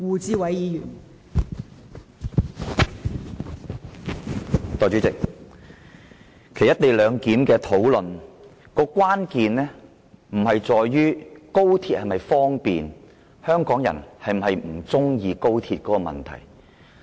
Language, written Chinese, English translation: Cantonese, 代理主席，其實"一地兩檢"的爭議關鍵並非在於廣深港高鐵是否方便，或者香港人是否不喜歡高鐵的問題。, Deputy President the dispute about the co - location arrangement is not whether it is convenient to travel by the Guangzhou - Shenzhen - Hong Kong Express Rail Link XRL or whether Hong Kong people like XRL